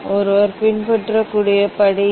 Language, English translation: Tamil, these are the step one has to follow